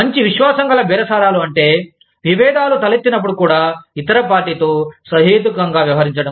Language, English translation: Telugu, Good faith bargaining means, treating the other party reasonably, even when disagreements arise